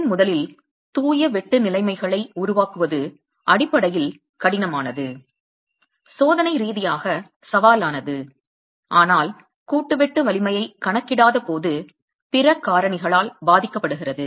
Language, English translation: Tamil, It is fundamentally difficult to create conditions of pure shear in the first place, experimentally challenging, but is affected by other factors as well which the joint shear strength does not account for